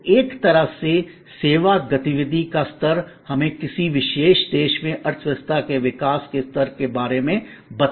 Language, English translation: Hindi, So, in a way the level of service activity can tell us about the level of economy growth in a particular country